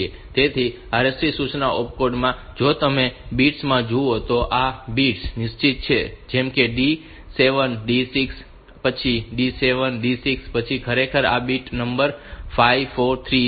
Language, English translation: Gujarati, So, in the RST instruction opcode, if you look into the bits then these bits are fixed like say D 7 that D 6 then the D 7 D 6 then actually this bit number 5 4 and 3, so the 3 4 and 5